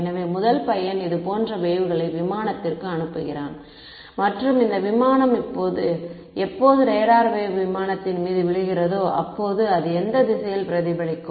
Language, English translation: Tamil, So, the first guy is sending a wave with like this to the aircraft and this aircraft is going to when the radar wave bounces on the aircraft it is going to get reflected in which direction